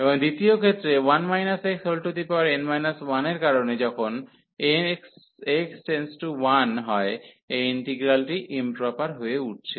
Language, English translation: Bengali, And in the second case because of this 1 minus x as x approaches to 1, this integral is becoming improper